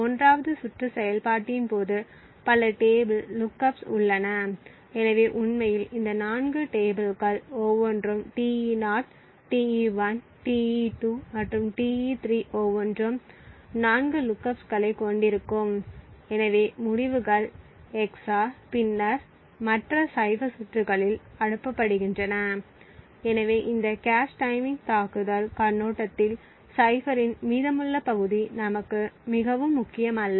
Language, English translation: Tamil, During the 1st round operation as we had mentioned there are several table lookups, so in fact each of these 4 tables Te0, Te1, Te2 and Te3 would have 4 lookups each, so the results are XOR and then passed on the other rounds of the cipher, so the remaining part of cipher from this cache timing attack perspective is not very important for us